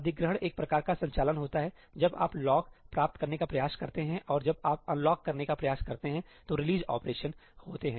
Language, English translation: Hindi, ëacquireí are kind of operations that happen when you try to get a lock and ëreleaseí operations happen when you try to unlock